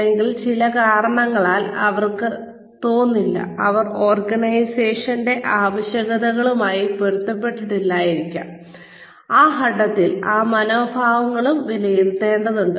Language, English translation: Malayalam, Or, for some reason, they may not feel, , they may not be, in tune with the requirements of the, the changing requirements of the organization, at which point, those attitudes, will also need to be assessed